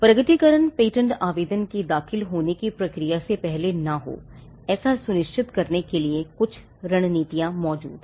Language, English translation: Hindi, Now, there are some strategies that exist to ensure that the disclosure does not proceed the filing of the patent application